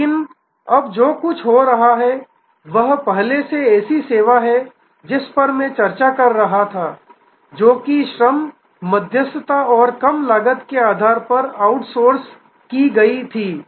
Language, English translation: Hindi, But, what is now happening is earlier such service as I was discussing were outsourced on the basis of labor arbitrage and lower cost